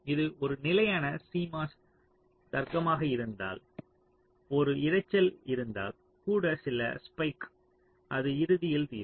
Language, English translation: Tamil, ok, and if it is a static cmos logic, then even if there is a noise, then some spike, so it will eventually settle down